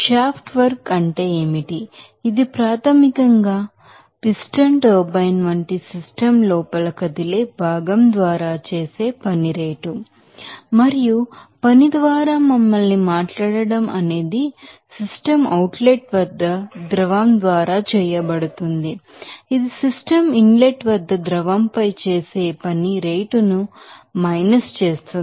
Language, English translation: Telugu, What is the shaft work this is basically the rate of work done by the fluid all a moving part within the system like piston turbine and to talk us through work this is basically rate of work done by the fluid at the system outlet minus the rate of work done on the fluid at the system inlet